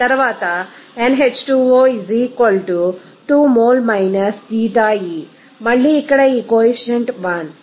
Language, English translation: Telugu, 00 mol – Xie, again here this coefficient is 1